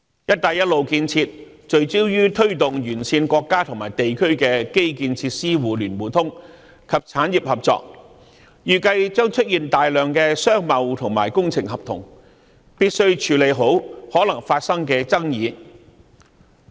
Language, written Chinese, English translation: Cantonese, "一帶一路"建設聚焦於推動沿線國家和地區的基建設施互聯互通和產業合作，預計將出現大量商貿及工程合同，必須處理好可能會發生的爭議。, As the Belt and Road Initiative focuses on the promotion of connectivity of infrastructure facilities among Belt and Road countries and regions as well as cooperation among the industries it is expected that a large number of business trade and engineering contracts will arise and the proper settlement of disputes that may arise will thus become a necessity